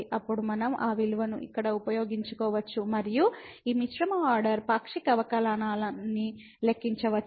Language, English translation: Telugu, Then we can use that value here and compute this mixed order partial derivative